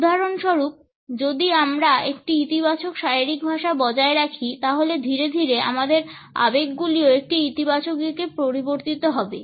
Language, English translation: Bengali, For example, if we maintain a positive body language, then gradually our emotions would have a positive shift